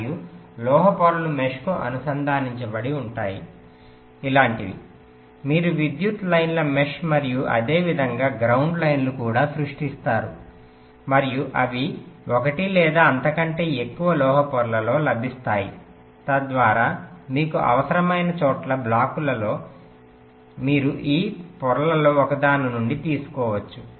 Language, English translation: Telugu, these are created on some metal layers and the metal layers are connected to the mesh, something like this: you create a mesh of power lines and also ground lines similarly, and they will be available on one or more metal layers so that on the blocks, wherever you need them, you can take it from one of this layers, right